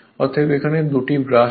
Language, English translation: Bengali, So, 2 brushes will be there